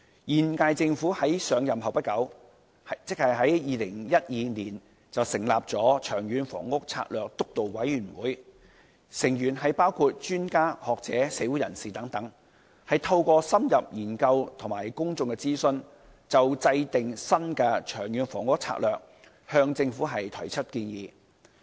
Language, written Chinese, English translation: Cantonese, 現屆政府在上任不久，即在2012年成立了長遠房屋策略督導委員會，成員包括專家學者、社會人士等，透過深入研究及公眾諮詢，就制訂新的《長遠房屋策略》向政府提出建議。, In 2012 not long after the current - term Government took office the Long Term Housing Strategy Steering Committee was established with members consisting of experts scholars and people from the community . Aided with an in - depth study and public consultation the Steering Committee submitted to the Government proposals on formulating a new long - term housing strategy